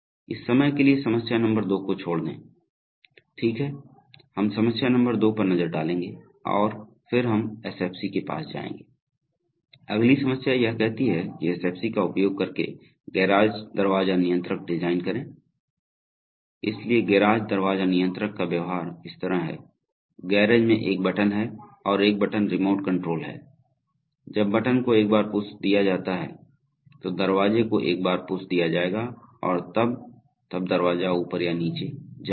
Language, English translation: Hindi, So we will, for the time being we'll skip problem number two, or okay, let us look at problem number two next, and then we will go to the SFC’s, so the next problem says design a garage door controller using an SFC, so the behavior of the garage door controller is like this, there is a single button in the garage and a single button remote control, when the button is pushed the door will pushed once, when the, when the button will be pushed once, then the, then the door will move up or down